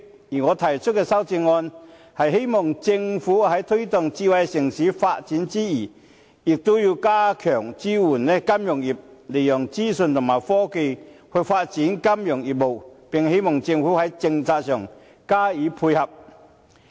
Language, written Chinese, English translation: Cantonese, 而我提出的修正案，是希望政府在推動智慧城市發展之餘，也要加強支援金融業，利用資訊和科技發展金融業務，並希望政府在政策上加以配合。, My amendment seeks to demand the Government to step up the support for the financial industry while promoting smart city development . It is hoped that the Government can introduce complementary policies for the development of financial business making use of information technology